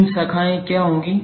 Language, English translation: Hindi, What would be the three branches